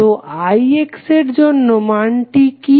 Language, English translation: Bengali, So, for I X what is the value